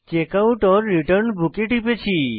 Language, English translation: Bengali, Click on Checkout/Return Book